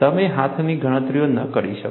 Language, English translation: Gujarati, You cannot do hand calculations